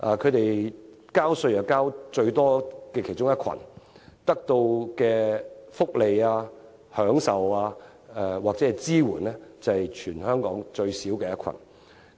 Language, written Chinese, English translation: Cantonese, 他們屬於納稅最高的其中一群，得到的福利、享受或支援卻是全港最少的一群。, Being one of the group paying the highest amount of taxes they receive the least amount of welfare or support and get the lowest amount of enjoyment